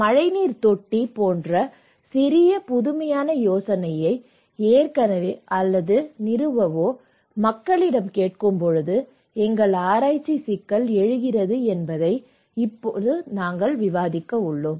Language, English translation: Tamil, Now, we discussed already also that our research problem is that if when we are asking people to adopt, install this kind of small innovative idea like rainwater tank